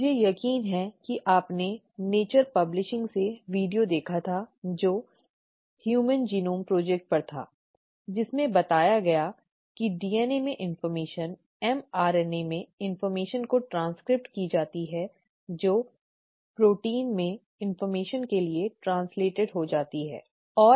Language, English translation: Hindi, I am sure you watched the video from nature publishing which was on the human genome project, which showed that the information in the DNA is transcribed to the information in the mRNA which gets translated to the information in the proteins, okay